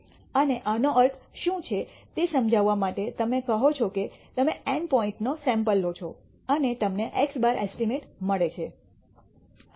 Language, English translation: Gujarati, And in order to prove understand what this means you say that suppose you take a sample of N points and you get an estimate x bar